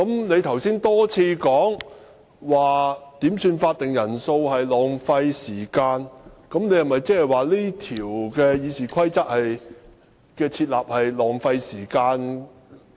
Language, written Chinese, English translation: Cantonese, 你剛才多次提到點算法定人數浪費時間，難道你認為《議事規則》訂立這一條是浪費時間？, You repeatedly stated earlier that it was a waste of time requesting headcounts . Do you consider that this provision of RoP is wasting time?